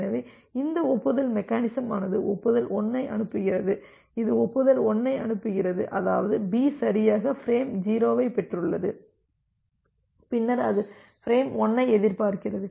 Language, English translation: Tamil, So, this acknowledgement mechanism it is sending acknowledgement 1; it is sending acknowledgement 1 means that B has correctly received frame 0 and then it is expecting for frame 1